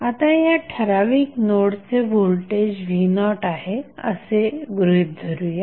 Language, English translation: Marathi, Now, let us assume that the voltage at this particular node is v naught